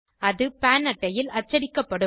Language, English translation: Tamil, This will be printed on the PAN card